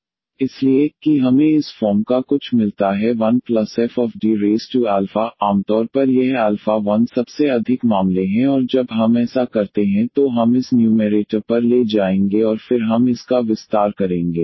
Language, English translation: Hindi, So, that we get something of this form 1 plus or minus F D and power alpha;usually this alpha is 1 most of the cases there and when we do this we will take now to this numerator and then we will expand it